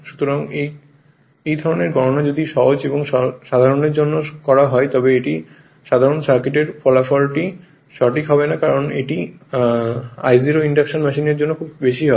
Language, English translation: Bengali, So, this kind of calculation if you do for simple and simple using this simple circuit result will not be accurate because this I 0 will be very high for induction machine it will be 30 to 50 percent right